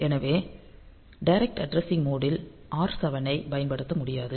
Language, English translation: Tamil, So, R7 cannot be used in the direct addressing mode